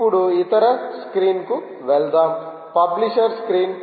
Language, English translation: Telugu, now lets move to the other screen, the, the publishers screen